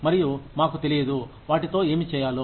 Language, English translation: Telugu, And, we do not know, what to do with them